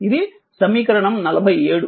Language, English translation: Telugu, This is equation 47 right